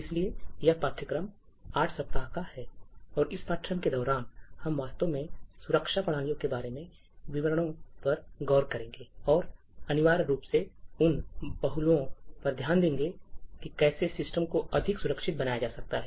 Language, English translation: Hindi, So, this course is an eight week course and, during this course we will actually look at details about, aspects about security systems, and essentially will look at aspects about how systems can be built to be more secure